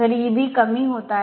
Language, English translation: Marathi, So, E b is decreasing